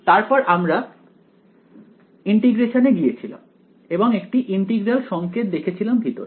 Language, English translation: Bengali, Then when we went to integration there was an integral sign inside it